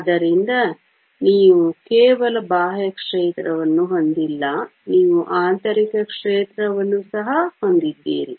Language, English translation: Kannada, So, you not only have an external field, you also have an internal field